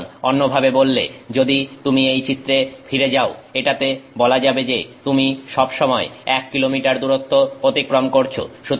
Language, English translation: Bengali, So in other words if go back to this curve here, it's like saying that you are always traveling one kilometer distance